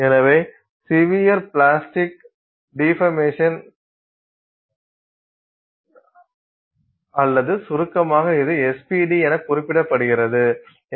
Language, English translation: Tamil, So, severe plastic deformation or in short it is referred to as SPD